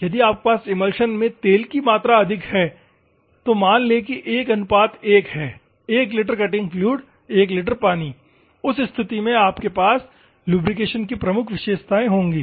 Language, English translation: Hindi, If you high have higher oil content in an emulsion, assume that 1 is to 1; 1 litre of cutting fluid, 1 litre of water in that circumstances, you will have dominating characteristics of lubrication